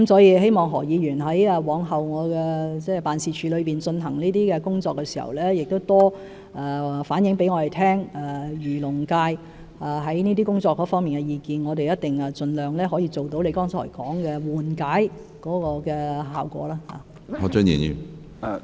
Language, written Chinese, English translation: Cantonese, 我希望何議員往後在我的辦事處進行這些工作時，可多向我們反映漁農界對這些工作的意見，我們一定盡量做到他剛才說的緩解效果。, I hope that when my office carries out such work in future Mr HO will relay to us more views of the fisheries and agricultural industry on our work . We will definitely exert our best to achieve relief as mentioned by him just now